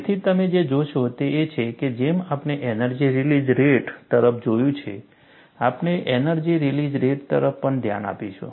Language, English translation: Gujarati, So, what you will find is, like we have looked at energy release rate, we will also look at energy release rate